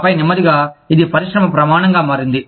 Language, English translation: Telugu, And then slowly, it became the industry norm